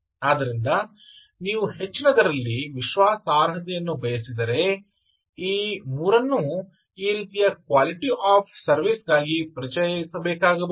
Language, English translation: Kannada, so if you want and at higher you want reliability, you may have to introduce these three, this kind of a quality of service requirement